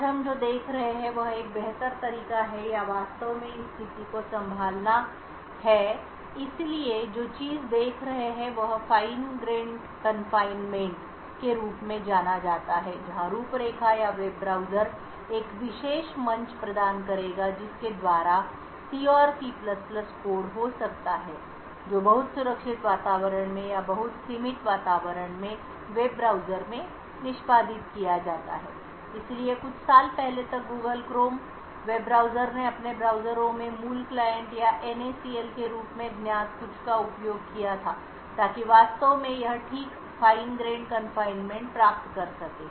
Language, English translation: Hindi, What we will be seeing today is a better way or to actually handle this situation, so what will be looking at is something known as Fine grained confinement where the framework or the web browser would provide a particular platform by which C and C++ code can be executed in a web browser in a very protected environment or in a very confined environment, so till a few years back the Google Chrome web browser used some use something known as Native Client or NACL in their browsers to actually achieve this Fine grained confinement